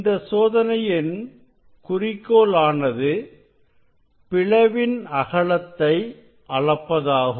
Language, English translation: Tamil, aim of this experiment is measurement of the width of the slit